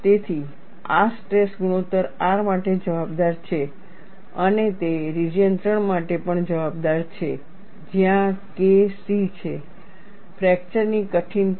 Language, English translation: Gujarati, So, this accounts for the stress ratio R and it also accounts for the region 3, where K c is the fracture toughness